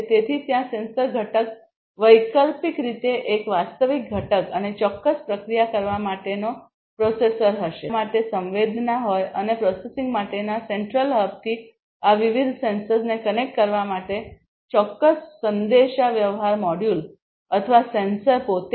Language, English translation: Gujarati, So, there will be a sensor component an actuated component optionally and a processor for processing certain, you know, whether the data that is sensed and certain communication module for connecting these different sensors with a central hub for processing or the sensors themselves